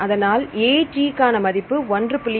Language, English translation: Tamil, So, AT content equal to